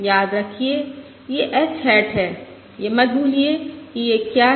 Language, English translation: Hindi, Remember this is h hat, which is, let us not forget, what these are